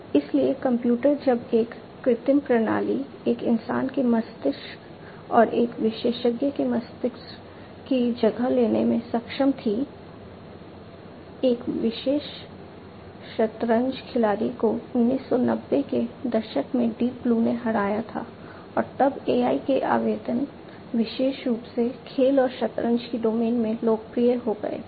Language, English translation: Hindi, So, the computer so, that was when an artificial system was able to supersede the brain of a human being and an expert brain, an expert chess player was defeated by Deep Blue in 1990s and that is when the applications of AI became popular in the domain of games and chess, particularly